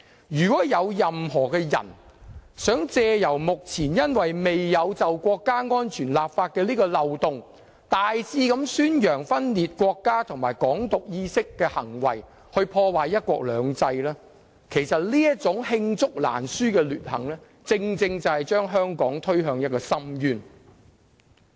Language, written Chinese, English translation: Cantonese, 如果任何人想藉目前未就國家安全立法的漏洞大肆宣揚分裂國家和"港獨"意識的行為，破壞"一國兩制"，其實這種罄竹難書的劣行正正會將香港推向深淵。, Anyone who tries to exploit the loophole of the absence of a national security law to widely propagate secession and Hong Kong independence and undermine one country two systems is indeed committing innumerable evil deeds that will push Hong Kong into an abyss